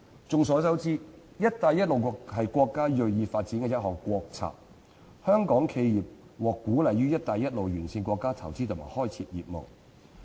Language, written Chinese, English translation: Cantonese, 眾所周知，"一帶一路"是國家銳意發展的一項國策，香港企業獲鼓勵於"一帶一路"沿線國家投資及開設業務。, As we all know the Belt and Road Initiative is a national policy that our country is determined to pursue and Hong Kong enterprises are encouraged to invest and set up businesses in countries along the Belt and Road